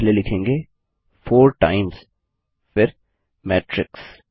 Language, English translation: Hindi, We will first write 4 times followed by the matrix